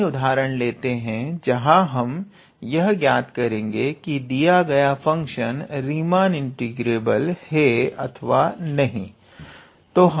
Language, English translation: Hindi, let us consider an example, where we actually say whether our given function is Riemann integrable or not